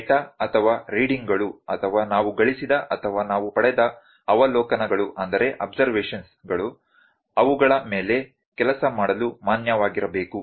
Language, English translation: Kannada, The data or the readings or the observations that we have gained or that we have obtained are to be valid to work on them